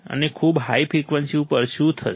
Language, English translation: Gujarati, And what will happen at very high frequencies